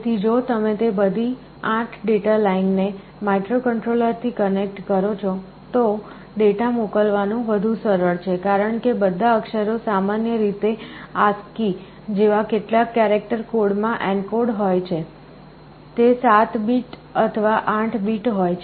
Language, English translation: Gujarati, So, if you connect all 8 of them to the microcontroller, it is easier to send the data, because all characters are typically encoded in some character code like ASCII, they are 7 bit or 8 bit